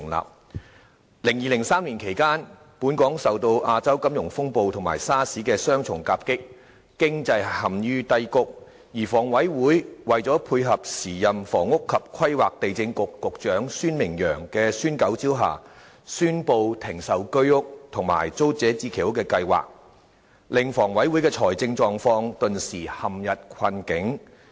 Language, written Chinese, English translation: Cantonese, 2002年至2003年期間，本港受到亞洲金融風暴和 SARS 的雙重夾擊，經濟陷於低谷，而香港房屋委員會在配合時任房屋及規劃地政局局長孫明揚的"孫九招"下，宣布停售居者有其屋和租者置其屋計劃的公共房屋，令房委會的財政狀況頓時陷入困境。, From 2002 to 2003 under the twin attacks of the Asian financial turmoil and SARS the economy was in a slump . The Hong Kong Housing Authority HA in response to the Nine Measures of Michael SUEN advocated by the then Secretary for Housing Planning and Lands Michael SUEN announced the cessation of the sale of Home Ownership Scheme flats and public housing flats under the Tenants Purchase Scheme causing HA to be bogged down finance - wise